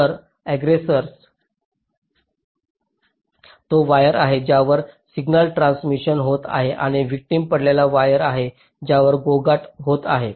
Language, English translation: Marathi, so aggressor is the wire on which signal transition is occurring and victim is the wire on which the noise is is getting coupled